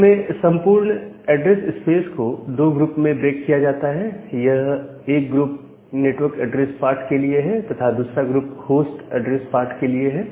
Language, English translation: Hindi, So, the whole idea is to break, this entire address space into two groups, one group is for the network address part, and the second group is for the host address part